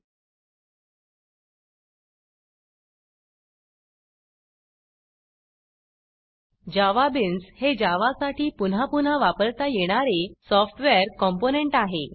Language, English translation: Marathi, JavaBeans are reusable software components for Java